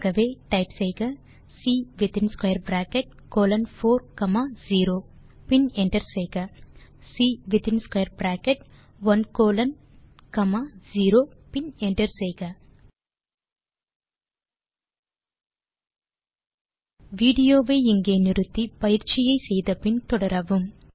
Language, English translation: Tamil, So type C within square bracket colon 4 comma 0 and hit enter So type C within square bracket 1 colon comma 0 and hit enter Now pause the video here, try out the following exercise and resume the video